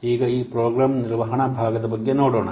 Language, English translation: Kannada, Now let's see about this program management part